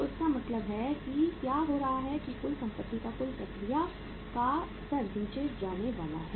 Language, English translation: Hindi, So it means what is happening that the in the in the total process that level of the total asset is going to go down